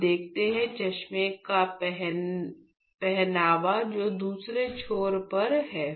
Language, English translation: Hindi, So, now let see the glass wear which is on the other end